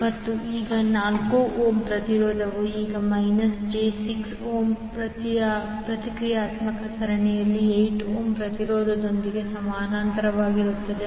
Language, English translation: Kannada, And this 4 ohm resistance will now be in parallel with 8 ohm resistance in series with minus j 6 ohm reactant